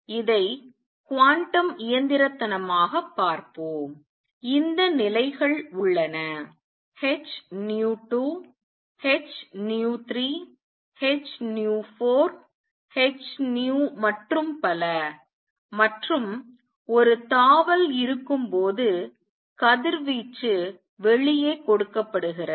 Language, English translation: Tamil, Let us look at it quantum mechanically, there are these levels h nu 2 h nu 3 h nu 4 h nu and so, on and the radiation is given out when there is a jump